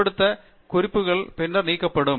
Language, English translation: Tamil, Unused references can then be deleted